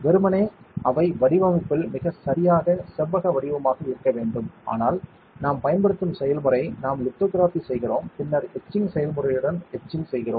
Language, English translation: Tamil, Ideally they should be very perfectly rectangular in design, but the process that we use, we do lithography and then we etch, with etching process